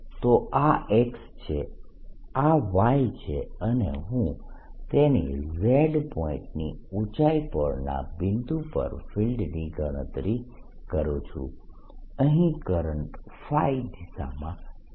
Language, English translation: Gujarati, so this is x, this is y and i am calculating field at some point z, at the height z of it